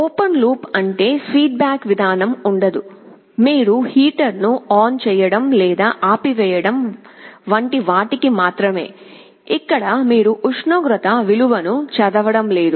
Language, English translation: Telugu, Open loop means there is no feedback mechanism; like you are only turning on or turning off the heater, but you are not reading the value of the temperature